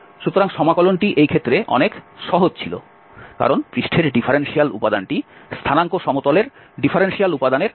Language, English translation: Bengali, So, the integral was much simpler in this case because the differential element on the surface was equal to the differential element on the coordinate axis, on the coordinate planes